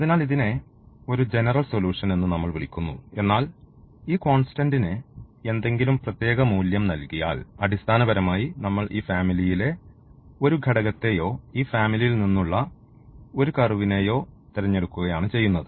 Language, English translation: Malayalam, So, therefore, we call this as a general solution, but if we give any particular value to this constant, then we are basically selecting one element of this family or one curve out of this family